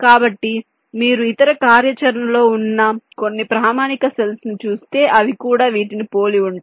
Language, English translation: Telugu, so if you look at some other standard cell, maybe some other functionality, so this will also look very similar